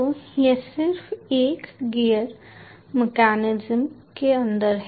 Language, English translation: Hindi, so there are various gears inside